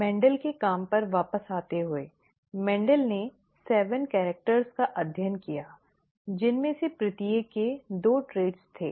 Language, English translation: Hindi, Coming back to Mendel’s work, Mendel studied seven characters, each of which had two traits